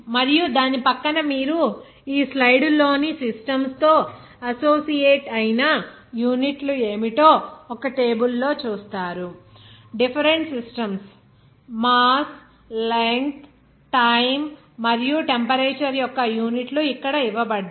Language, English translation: Telugu, And next to that you will see that what are units that associated with the systems in this slide in a table it is shown that the different systems are the units of mass length time and temperature are given here